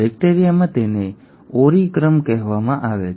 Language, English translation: Gujarati, In bacteria it is called as the Ori sequence